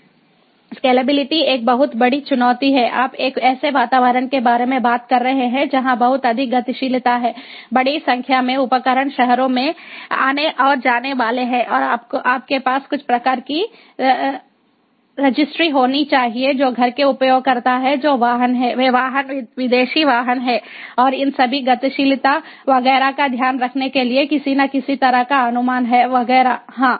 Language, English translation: Hindi, you are talking about an environment where there is lot of mobility, large number of devices coming in, going out of the cities, and you have to have some kind of a registry about who are the home users, home vehicles, who are which vehicles, are the foreign vehicles, and some kind of pricings, some kind of keeping track of all these mobility, etcetera, etcetera